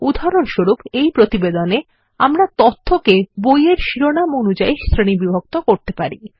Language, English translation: Bengali, For example, in our report, we can group the data by Book titles